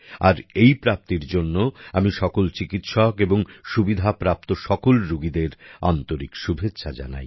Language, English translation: Bengali, For this achievement, I congratulate all the doctors and patients who have availed of this facility